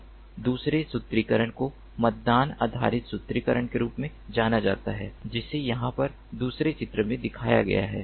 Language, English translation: Hindi, now the other formulation is known as the poll based formulation, which is shown in the second figure over here